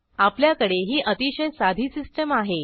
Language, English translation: Marathi, We have a very simple system here